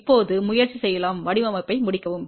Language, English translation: Tamil, Now, let us try to complete the design